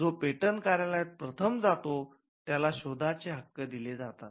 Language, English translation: Marathi, The person who approaches the patent office first gets the invention